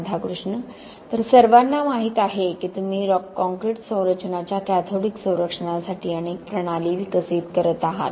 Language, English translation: Marathi, So we all know that, you know that you have been developing many systems for cathodic protection of concrete structures